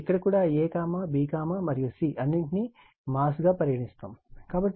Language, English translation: Telugu, And here also a, b, and c all are mass